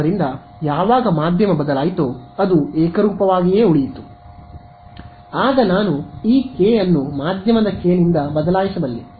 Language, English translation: Kannada, So, when the medium changed, but it remained homogenous then I could replace this k by the k of that medium